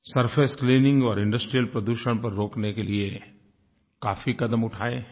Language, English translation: Hindi, We have taken several steps for surface cleaning and to stop industrial pollution